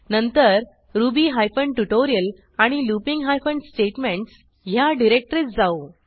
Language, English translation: Marathi, Then to ruby hyphen tutorial and looping hyphen statements directory